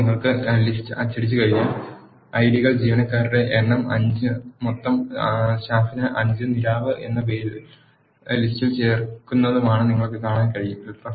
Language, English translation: Malayalam, Now, once you print the list you can see that the IDs, number of employees are 5 and total staff is 5 and the name Nirav is getting added to the list